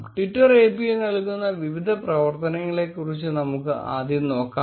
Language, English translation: Malayalam, Let us first look at the various functionalities provided by twitter API